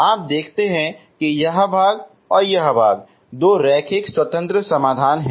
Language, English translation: Hindi, You see that this part and this part are two linearly independent solutions